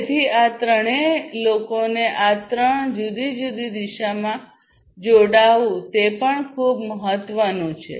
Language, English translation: Gujarati, So, engaging all these peoples in these three different directions is also very important